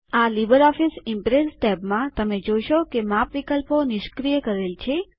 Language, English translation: Gujarati, In the LibreOffice Impress tab, you will find that the Size options are disabled